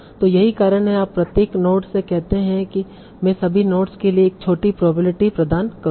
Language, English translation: Hindi, So that's why you say, OK, from each node, I will assign a small probability to all the nodes